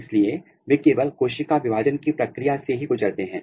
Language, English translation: Hindi, So, they are undergoing only the process of cell division